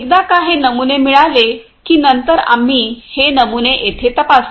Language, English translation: Marathi, So, once we receive these samples, we are checking these samples over here